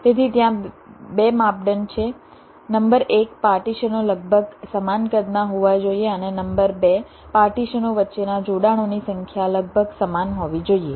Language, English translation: Gujarati, number one, the partitions need to be approximately of the same size, and number two, the number of connections between the partitions has to be approximately equal